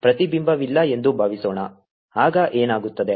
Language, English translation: Kannada, suppose there is no reflection